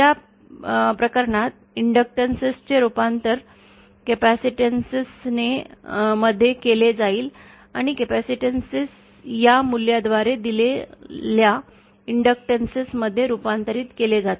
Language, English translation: Marathi, In that case the inductances will be converted to capacitances and capacitances will be converted to inductances as given by this value